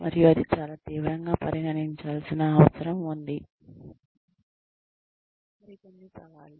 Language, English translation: Telugu, And, that needs to be considered, very very seriously Some more challenges